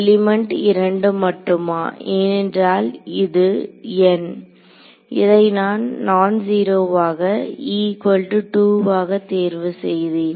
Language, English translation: Tamil, Is only element 2 because this N this guy I have chosen is non zero only over e is equal to 2 right